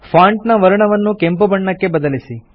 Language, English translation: Kannada, Change the font color to red